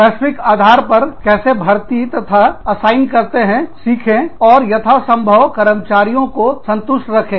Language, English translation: Hindi, Learn, how to recruit and assign, on a global basis, and keep employees as satisfied, as possible